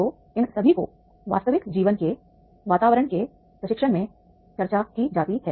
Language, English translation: Hindi, So all these being discussed in the training to the real life environment